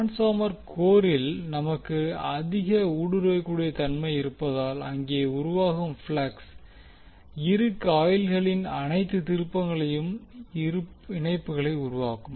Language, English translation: Tamil, Since we have high permeability in the transformer core, the flux which will be generated links to all turns of both of the coils